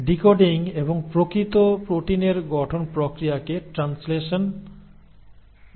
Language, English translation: Bengali, That process of decoding and the actual formation of proteins is what you call as translation